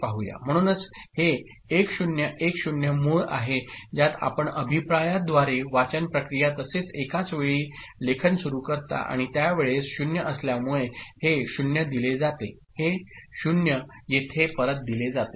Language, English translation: Marathi, So, this is the original one, 1010 with which you start the reading process as well as simultaneous writing through a feedback and at that time, since this is 0, this 0 is fed back; this 0 is fed back here ok